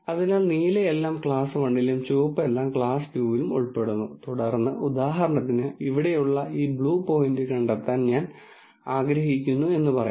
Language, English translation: Malayalam, So, the blue are all belonging to class 1 and the red is all belonging to class 2, and then let us say for example, I want to figure out this point here blue point